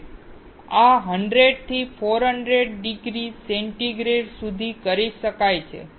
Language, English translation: Gujarati, This can be done from 100 to 400 degree centigrade